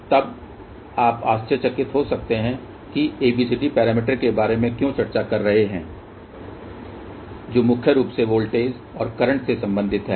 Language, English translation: Hindi, Then you might wander then why we are discussing about ABCD parameters which are mainly concerned with voltages and currents